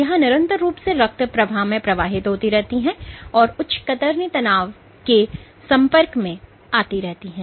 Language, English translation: Hindi, They are continuously transiting through the bloodstream and are exposed to high shear stresses